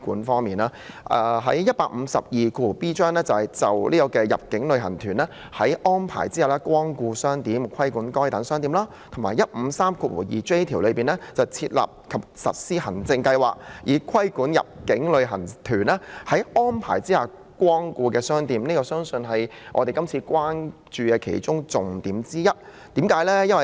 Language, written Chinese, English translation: Cantonese, 《條例草案》第 152b 條"就入境旅行團在安排下光顧商店，規管該等商店"及第 1532j 條"設立和實施行政計劃，以規管入境旅行團在安排下光顧的商店"，都是我們關注的重點之一。, In the Bill clause 152b regulate shops that inbound tour groups are arranged to patronize in relation to that patronage and clause 1532j establish and implement an administrative scheme for regulating shops that inbound tour groups are arranged to patronize . Both of them are our concerns